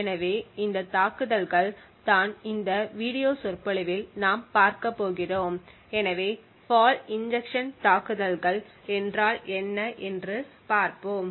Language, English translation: Tamil, So these attacks are what we are going to look at in this video lecture so let us look at what fault injection attacks are